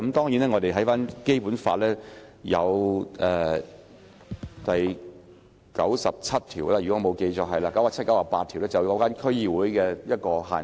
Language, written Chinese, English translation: Cantonese, 如果我沒有記錯，《基本法》第九十七和九十八條有提及關於區議會的限制。, If my memory serves me right restrictions on DCs are stipulated in Articles 97 and 98 of the Basic Law